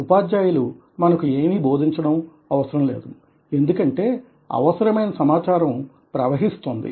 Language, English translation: Telugu, teachers don't need to teach us because the information is floating